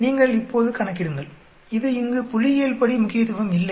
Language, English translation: Tamil, You calculate now, it is not statistically significant here